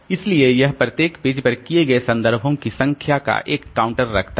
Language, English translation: Hindi, So, it keep a counter of the number of references that have been made to each page